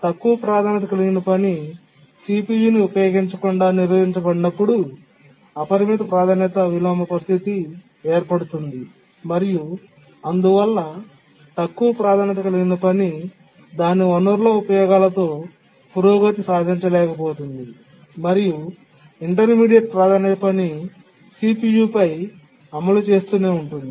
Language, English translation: Telugu, That's a simple priority inversion, but an unbounded priority inversion situation occurs where the low priority task has been preempted from using the CPU and therefore the low priority task is not able to make progress with its resource uses and the intermediate priority task keep on executing on the CPU